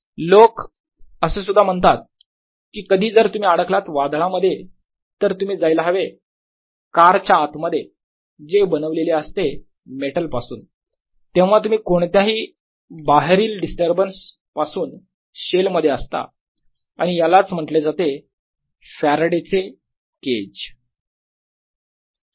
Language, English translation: Marathi, people also say sometimes when, if, if you are caught on a thunder storm, go inside a car which is made of metal, then you will be shelled it in any distributors outside and this is also known as faraday's cage